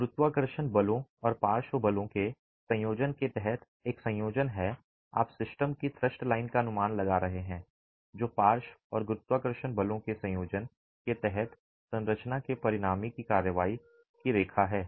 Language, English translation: Hindi, A combination under the combination of gravity forces and lateral forces you are estimating the thrust line of the system which is the line of the resultant of the structure under a combination of lateral and gravity forces